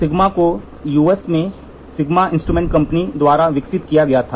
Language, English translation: Hindi, Sigma was developed by Sigma Instrument Company in USA